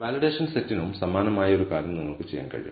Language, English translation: Malayalam, You can do a similar thing for the validation set also